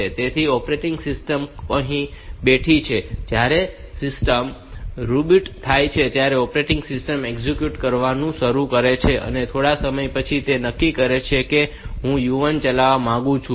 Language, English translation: Gujarati, So, operating system is here sitting here and the when the system reboots the operating systems starts executing, after some time it may decide that now I want to execute u 1